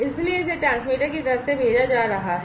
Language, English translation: Hindi, So, it is being sent from the transmitter side